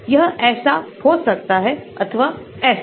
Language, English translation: Hindi, So, they can like this or like this